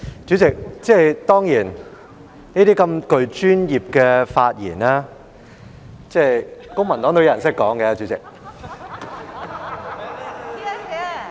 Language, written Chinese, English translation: Cantonese, 主席，當然，涉及專業範疇的發言，公民黨也有議員懂得說。, President certainly there are Members from the Civic Party who are capable of speaking on areas involving professional knowledge